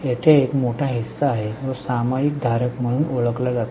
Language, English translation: Marathi, There is a large body known as shareholders